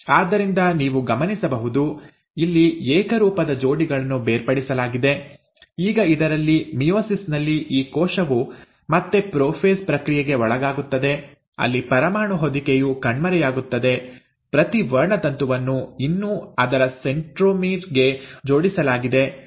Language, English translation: Kannada, Now each of these cells, so you will notice, here the homologous pairs are separated, Now in this, meiosis again, this cell again undergoes the process of prophase, where the nuclear envelope disappears each chromosome, still attached to its centromere